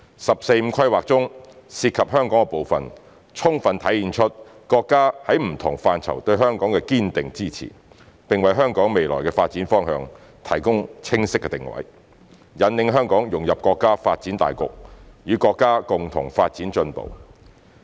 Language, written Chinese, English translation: Cantonese, "十四五"規劃中涉及香港的部分，充分體現出國家在不同範疇對香港的堅定支持，並為香港未來的發展方向提供清晰定位，引領香港融入國家發展大局，與國家共同發展進步。, The part relating to Hong Kong fully demonstrates the countrys staunch support for Hong Kong in different aspects . This has established a clear positioning for Hong Kongs future development and guided our integration into the overall development of the country with a view to developing and advancing with the country together